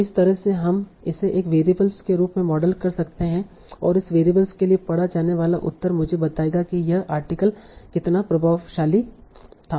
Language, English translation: Hindi, So that way we can model it as a variable and the posterior that will get for this variable will tell me how influential this article was